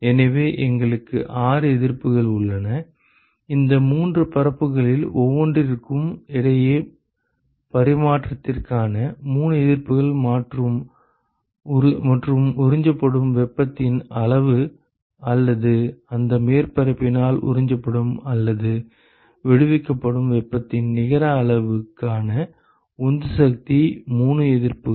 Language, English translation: Tamil, So, we have 6 resistances; 3 resistances for exchange between each of three these three surfaces and 3 resistances for the driving force for the amount of heat, that is absorbed or the net amount of heat that is absorbed or liberated by that surface